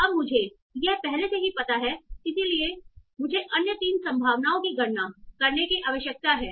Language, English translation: Hindi, So now I already know this and this so I need to compute the other view probability